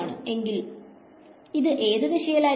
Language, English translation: Malayalam, So, which way is it going to go